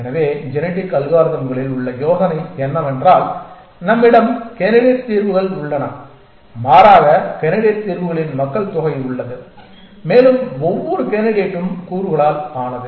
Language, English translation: Tamil, So, the idea in genetic algorithms is that we have candidate solutions rather a population of candidate solutions and each candidate is made up of components